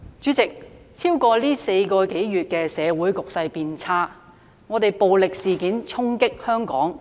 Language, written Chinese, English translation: Cantonese, 主席，在過去4個多月，社會局勢變差，暴力事件衝擊香港。, President over the past four months the social situation has worsened with violent incidents dealing a blow to Hong Kong